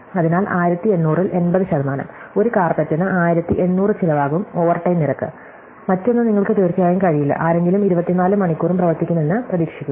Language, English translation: Malayalam, So, 80 percent of 1000 is 800, so it is going to cost 1800 per carpet is the overtime rate, in the other thing is that you cannot of course, expect somebody to work 24 hours a day